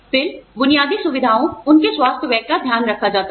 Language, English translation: Hindi, Then, basic facilities, their health expenditure, is taken care of